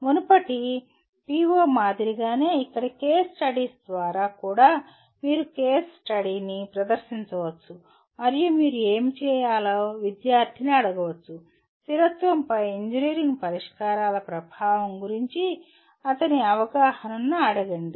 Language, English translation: Telugu, So like the earlier PO, here also through case studies you can present the case study and ask the student to do what do you call ask his perception of the impact of engineering solutions on sustainability